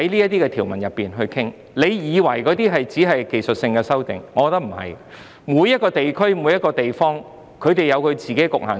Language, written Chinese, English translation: Cantonese, 當局以為這些只是技術性修訂，但我認為不是，每個地區或地方有自己的局限性。, The authorities think that these are only technical amendments but I do not think so as each region or place has its own limitations